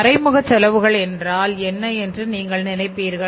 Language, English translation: Tamil, We can think here that what is the indirect cost